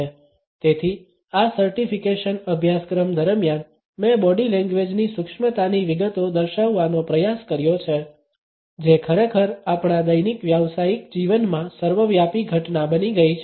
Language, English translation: Gujarati, So, during this certification course I have attempted to delineate the nuance details of body language which indeed has become an omnipresent phenomenon in our daily professional life